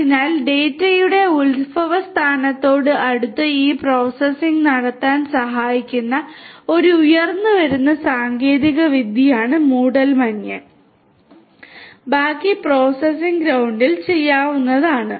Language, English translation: Malayalam, So, fog is an emerging technology which will help to perform some of this processing closer to the point of origination of the data and the rest of the processing can be done at the cloud